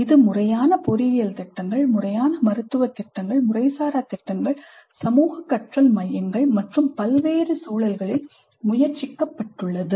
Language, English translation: Tamil, It has been tried in formal engineering programs, formal medical programs, informal programs, community learning centers and in a variety of other contexts also it has been tried